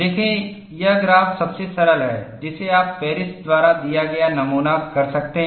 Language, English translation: Hindi, See, this graph is simplest one you can model; that was given by Paris